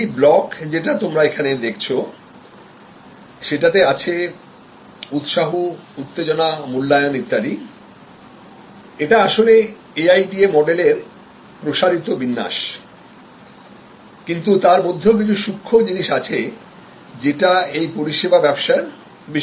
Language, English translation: Bengali, This block that you see here need arousal, evaluation, etc, it is actually a more expanded format of the AIDA model, but there are some nuances here which are particular to the services domain